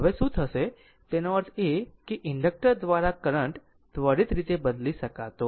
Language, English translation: Gujarati, Now what will happen that your; that means, current through inductor cannot change instantaneously